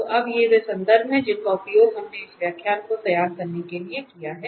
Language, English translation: Hindi, And now these are the references we have used for preparing this lecture